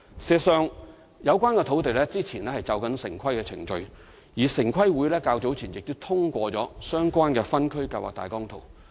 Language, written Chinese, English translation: Cantonese, 事實上，有關土地先前正進行城市規劃程序，而城市規劃委員會早前亦通過了相關的分區計劃大綱圖。, In fact the site was undergoing urban planning procedure earlier . The Town Planning Board TPB also endorsed the relevant Outline Zoning Plan